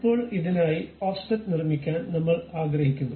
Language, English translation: Malayalam, Now, I would like to construct offset for this